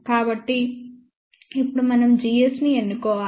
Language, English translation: Telugu, So, now we have to choose g s